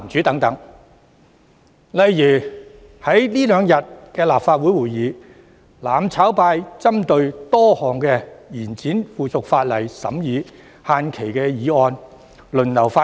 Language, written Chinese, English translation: Cantonese, 在這兩天的立法會會議上，"攬炒派"針對多項延展附屬法例審議限期的議案輪流發言。, During the Legislative Council meeting of these two days the mutual destruction camp has taken turns to speak on a number of resolutions to extend the scrutiny period for certain subsidiary legislation